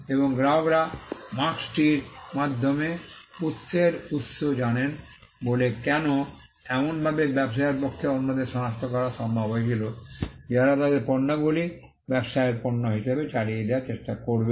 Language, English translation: Bengali, And because customers know the source of origin through the mark it was possible for the trader to identify others who would try to pass off their goods as the trader’s goods